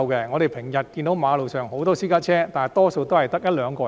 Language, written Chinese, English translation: Cantonese, 我們日常看見馬路上很多私家車，但車裏大多只有一兩名乘客。, We often see many private cars on the road but most of them only carry one or two passengers